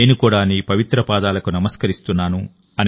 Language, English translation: Telugu, I also offer my salutations at your holy feet